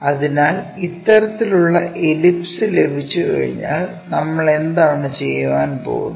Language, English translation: Malayalam, So, once we have this kind of ellipse, what we are going to do